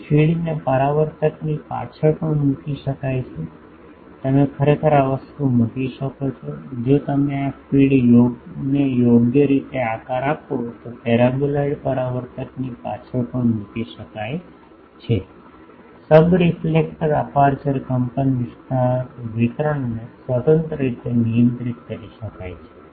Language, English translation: Gujarati, Here feed can be placed behind the reflector also, actually you can put it actually this thing if you properly shape this feed even can be put behind the paraboloid reflector by shaping the subreflector aperture amplitude distribution can be controlled independently